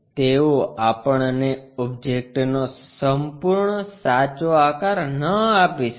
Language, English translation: Gujarati, They might not give us complete true shape of the object